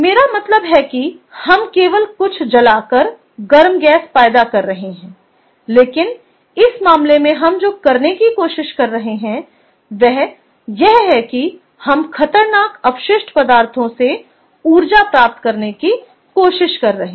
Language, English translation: Hindi, i mean, we, ah, we are just generating hot gas by burning something, but in this case, what we are trying to do is we are trying to get energy out of hazardous waste material